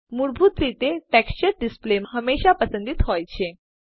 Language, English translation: Gujarati, By default, this display is always selected